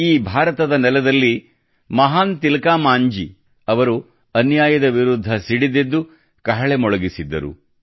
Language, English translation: Kannada, It was on this very land of India that the great Tilka Manjhi sounded the trumpet against injustice